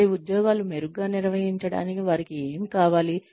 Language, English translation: Telugu, What do they need, to perform their jobs better